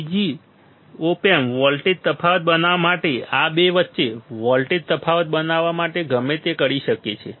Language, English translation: Gujarati, Second the op amp will do whatever it can whatever it can to make the voltage difference to make the voltage difference between this two